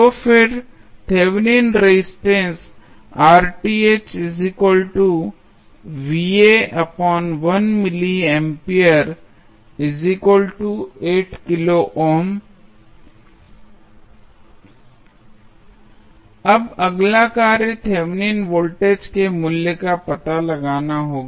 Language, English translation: Hindi, Now, the next task would be the finding out the value of Thevenin voltage